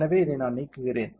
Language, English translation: Tamil, So, I will delete this